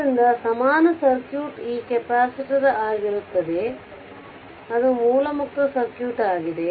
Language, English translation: Kannada, Therefore, equal equivalence circuit will be this capacitor it is a source free circuit